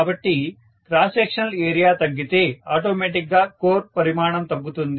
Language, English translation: Telugu, So if the cross sectional area decreases, automatically the core size will decrease